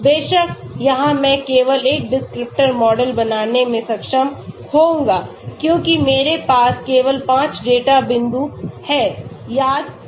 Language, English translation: Hindi, Of course, here I will be able to create only one descriptor model because I have only 5 data points remember that